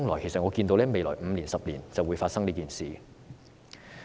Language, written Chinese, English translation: Cantonese, 其實我看到未來5年、10年這件事便會發生。, In fact I foresee that the rainy day will come in the next 5 or 10 years